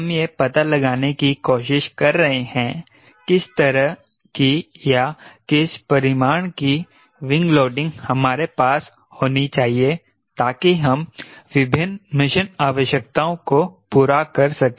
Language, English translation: Hindi, we are trying to explore what sort of or what magnitude of wind loading we should have to perform various mission requirements